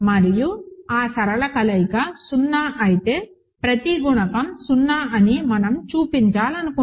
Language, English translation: Telugu, And we want to show that if that linear combination is 0 each coefficient is 0